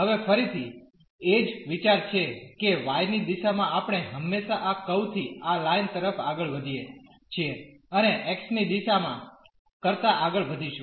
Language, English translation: Gujarati, Now again the same idea that in the direction of y we are always moving from this curve to this line and in the direction of x will be moving than